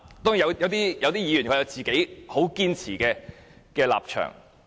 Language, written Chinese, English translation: Cantonese, 當然，也有一些議員堅持自己的立場。, Of course there are still some Members who stand by their own position